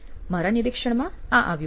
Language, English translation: Gujarati, This is what came up in my observation